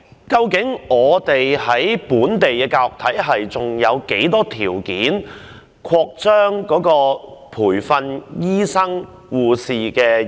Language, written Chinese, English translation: Cantonese, 究竟本地的教育體系，還有沒有條件擴張培訓醫生和護士呢？, Does our local education system still have the capacity to train additional doctors and nurses?